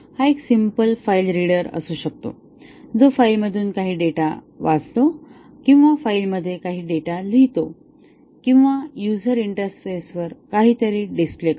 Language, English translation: Marathi, It may be a simple file reader which read some data from a file or write some data to a file or write display something on the user interface